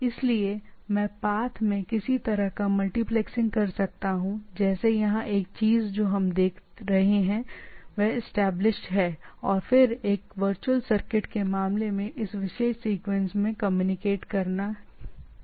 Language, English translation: Hindi, So I can have some sort of a multiplexing on the path, like here same thing what we are seeing at a thing is established and then it goes on communicating in this particular sequence right, in case of a virtual circuit